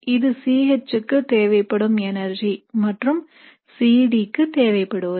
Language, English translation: Tamil, This is for C H the energy that would be required and this is for C D